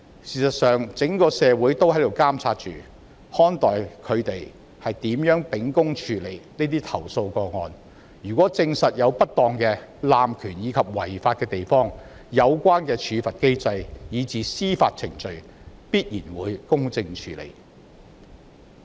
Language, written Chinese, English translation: Cantonese, 事實上，整個社會都在監察及看待他們如何秉公處理這些投訴個案，如證實有不當、濫權或違法的地方，必然會在有關處罰機制以至司法程序下得到公正處理。, In fact the whole community is keeping an eye on how these two bodies will handle the complaint cases impartially . If cases of malpractice abuse of power or illegality are proven they will definitely be dealt with fairly under the relevant sanction mechanism and even the judicial procedure